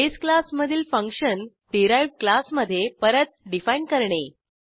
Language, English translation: Marathi, Redefining a base class function in the derived class